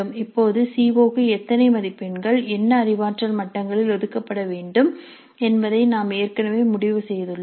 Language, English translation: Tamil, Now we already have decided how many marks to be allocated to that COO at what cognitive levels